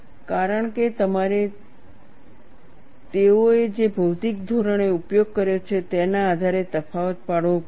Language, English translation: Gujarati, Because you have to make a distinction on the physical basis that, they have used